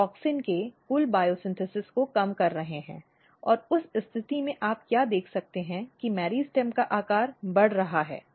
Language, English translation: Hindi, You are reducing total bio synthesis bio synthesis of auxin and in that case what you can see that the meristem size is increasing